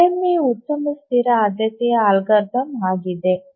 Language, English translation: Kannada, So, RMA is a very good static priority algorithm